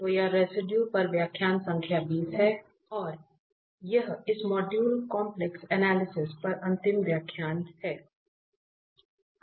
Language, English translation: Hindi, So, this is lecture number 20 on Residue and this is the last lecture on this module Complex Analysis